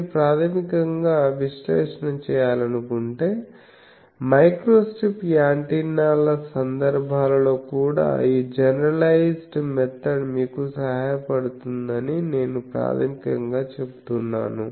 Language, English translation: Telugu, But basically I say that if you want to do the analysis this generalized method helps you even in these cases of microstrip antennas